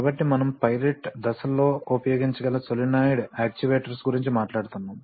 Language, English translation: Telugu, So we are talking about solenoid actuators, that they can be used in pilot stages